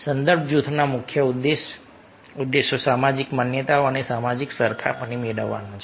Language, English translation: Gujarati, the main objectives of reference groups are to seek social validation and social comparison